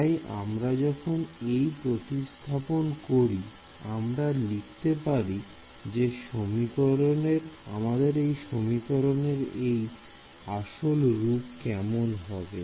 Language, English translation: Bengali, So, when we substitute this we can write this as let us look back at our original form over here